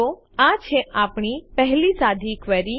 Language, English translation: Gujarati, So there is our first simple query